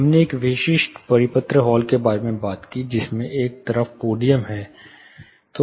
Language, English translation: Hindi, We talked about a specific circular space, with a podium on one side